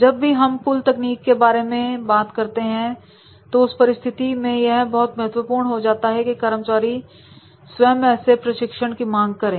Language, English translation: Hindi, Whenever we talk about the pull technique, then in that case it becomes very important that is the employees themselves the demand we want this type of the training